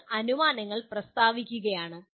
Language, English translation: Malayalam, You are stating the assumptions